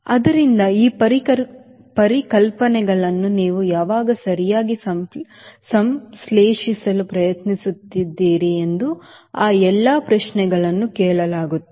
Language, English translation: Kannada, so all those questions will be asked: when will be actually trying to synthesize these concepts right